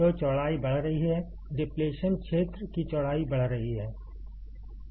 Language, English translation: Hindi, So, the width is increasing, the width of depletion region is increasing